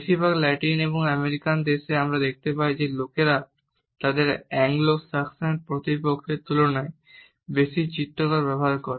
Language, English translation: Bengali, There are certain cultures for example, in most of the Latin American countries we find that people use more illustrators in comparison to their Anglo Saxon counterparts